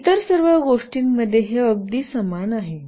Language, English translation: Marathi, For all other things, it is pretty similar